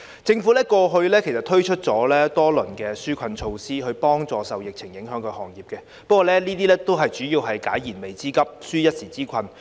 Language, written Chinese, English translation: Cantonese, 政府過去推出了多輪紓困措施，以協助受疫情影響的行業，但有關措施只能解決燃眉之急，紓一時之困。, The Government has rolled out several rounds of relief measures to help the industries affected by the epidemic but these measures can only address their pressing needs and relieve them of their plights temporarily